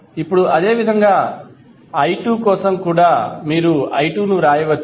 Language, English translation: Telugu, Now, similarly for i2 also you can write i2 is nothing but V by R2